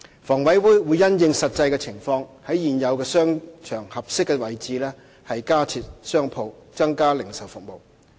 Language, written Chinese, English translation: Cantonese, 房委會會因應實際情況，在現有商場合適的位置加設商鋪，增加零售服務。, HA will having regard to the actual circumstances provide additional shops at suitable locations in the existing shopping arcades for the provision of additional retail services